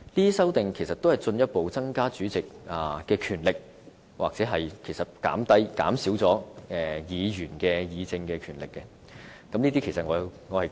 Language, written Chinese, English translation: Cantonese, 這些修訂其實是進一步增加主席的權力，或減少議員議政的權力，我是難以支持這些修訂的。, These amendments actually seek to further increase the power of the President or reduce the power of Members to debate on policies . I thus could not support these amendments